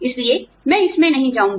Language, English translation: Hindi, So, I will not go into it, again